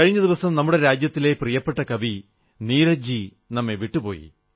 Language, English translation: Malayalam, A few days ago, the country's beloved poet Neeraj Ji left us forever